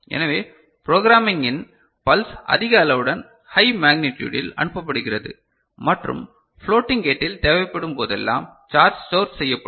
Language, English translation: Tamil, So, during programming, the pulse is sent of high magnitude relatively higher magnitude and the floating gate the charge is stored whenever we require it